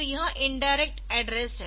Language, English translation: Hindi, So, this is indirect one indirect address